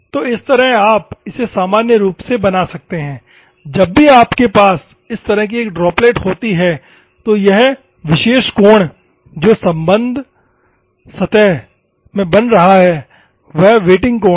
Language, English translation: Hindi, So, this is how you can make normally, whenever you have a droplet like these, this particular angle which is making with respect to the surface is nothing but the wetting angle